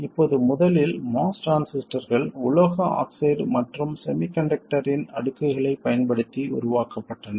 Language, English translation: Tamil, Now this was because originally moss transistors were made using layers of metal oxide and semiconductor